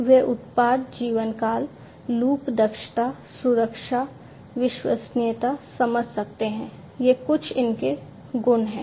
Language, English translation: Hindi, And they can sense product lifetime, loop efficiency, safety, reliability these are some of these different properties